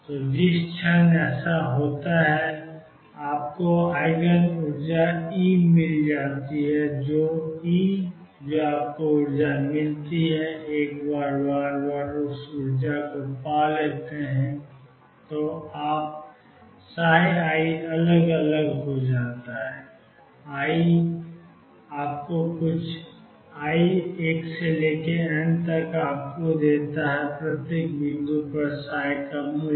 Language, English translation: Hindi, So, the moment that happens you have fund the Eigen energy E whichever E that happens for your found that energy and once you have found that energy you have also found psi i at different is i equals 1 through n gives you the value of psi at each point